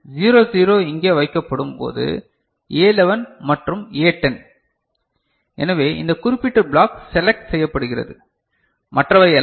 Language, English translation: Tamil, When 00 is placed here A 11 and A 10; so, this particular block will be selected and not the others other ones